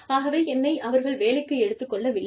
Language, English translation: Tamil, So, i did not get hired